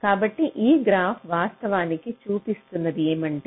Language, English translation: Telugu, so what this graph actually means